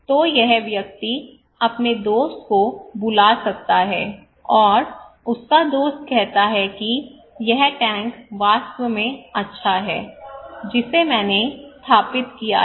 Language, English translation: Hindi, So this person may call his friend, and his friend says okay this tank is really good I installed this one okay